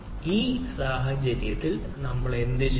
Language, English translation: Malayalam, so in this case what we do